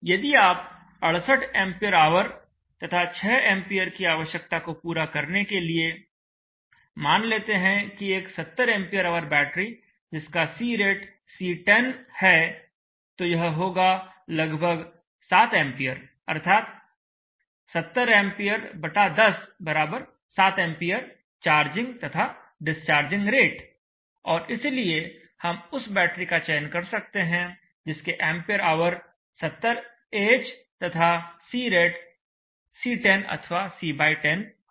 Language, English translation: Hindi, 65A, if you consider 68Ah and 6A to see that let us say we take a 70A our battery and if you it choose a C10 rate, so it will be around 7A, 70A / 10 7A charging and charge 8 and therefore we could go in for a battery which is 70Ah C10 or C / 10